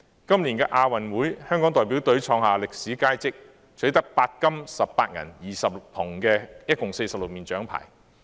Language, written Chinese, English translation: Cantonese, 今年亞洲運動會，香港代表隊創下歷史佳績，取得8金18銀20銅一共46面獎牌。, At this years Asian Games the Hong Kong team achieved historic success by winning a total of 46 medals comprising 8 gold 18 silver and 20 bronze medals